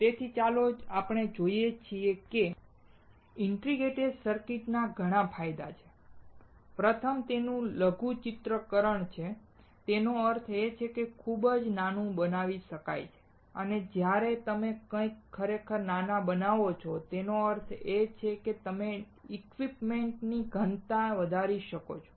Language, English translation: Gujarati, So, let us see integrated circuits have several advantages, first is its miniaturization; that means, it can be made extremely small and when you make something really small; that means, you can increase the equipment density